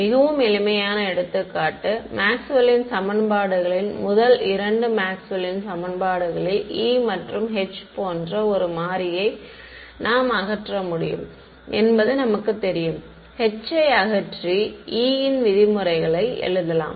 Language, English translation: Tamil, So very simple example, Maxwell’s equations the first two Maxwell’s equations we know we can eliminate one variable like E and H I can eliminate H and just write it in terms of E right